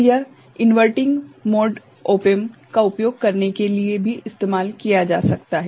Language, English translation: Hindi, So, it can be used for using inverting mode op amp also